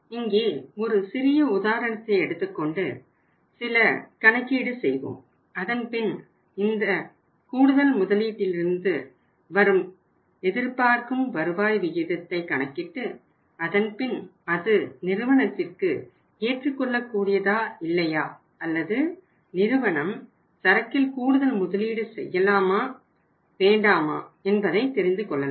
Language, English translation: Tamil, We will do it here a small case and then we will make some calculations and then we will calculate the expected rate of return from some increased investment and then we will try to find out whether that is acceptable to the company or not or whether the company should increase the investment in the inventory or not